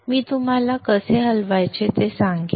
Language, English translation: Marathi, I will tell you how to go about